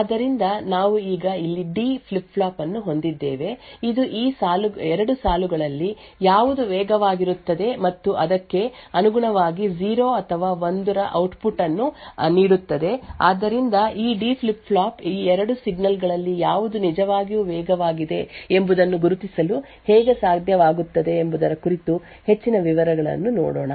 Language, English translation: Kannada, So we also now have a D flip flop over here which measures which of these 2 lines is in fact faster and correspondingly gives output of either 0 or 1, so let us look in more details about how this D flip flop actually is able to identify which of these 2 signals is indeed faster